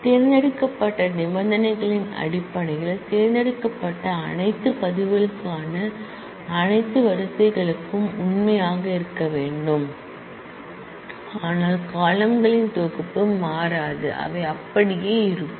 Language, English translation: Tamil, Based on a selection condition that must be true for all the rows for all the records that have been selected, but the set of columns do not change they remain the same